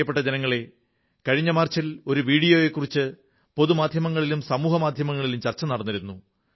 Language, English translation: Malayalam, My dear countrymen, in March last year, a video had become the centre of attention in the media and the social media